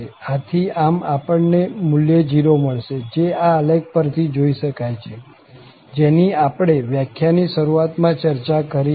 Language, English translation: Gujarati, So therefore, we get this value 0, which was also visible from the plot, which we have just discussed there at the beginning of this lecture